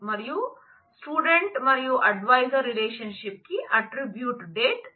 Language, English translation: Telugu, And student and the adviser relationship has an attribute date